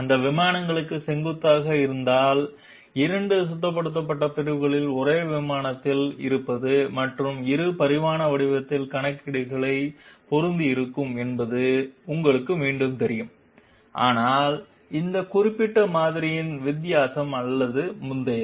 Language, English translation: Tamil, Had it been perpendicular to those planes, it would have you know again become the case of 2 swept sections being on the same plane and two dimensional geometrical calculations would have been applicable, but it is not so this is the difference of this particular model with the previous one